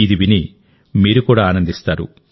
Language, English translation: Telugu, Listen to it, you will enjoy it too